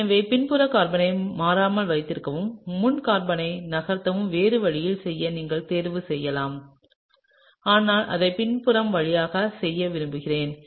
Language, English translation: Tamil, So, you could also choose to do the other way that is keep the back carbon constant and move the front carbon, but I like to do it in the following way